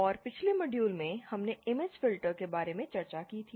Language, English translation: Hindi, And in the last module we had discussed about image filters